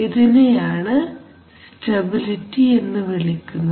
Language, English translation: Malayalam, So this is the basic concept of stability